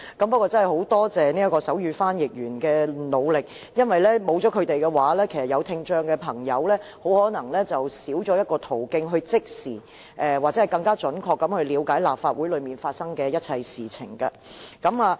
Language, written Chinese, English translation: Cantonese, 不過，我真的很感謝手語傳譯員的努力，因為如果沒有他們的話，聽障朋友就可能少一個途徑，可以即時或更加準確地了解立法會發生的一切事情。, I very much appreciate the sign language interpreters for their effort . Without them people with hearing impairment will have one channel less to instantly or more accurately learn about the events in the Legislative Council